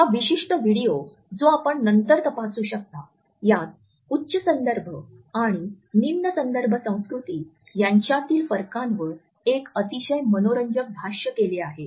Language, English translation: Marathi, This particular video which you can check later on provides a very interesting commentary on the differences between the high context and low context cultures